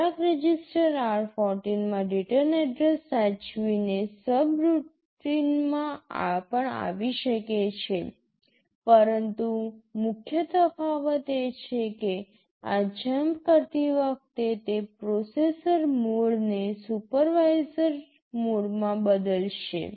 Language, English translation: Gujarati, This will also jump to a subroutine by saving the return address in some register r14, but the main difference is that while doing this jump it will also change the processor mode to supervisor mode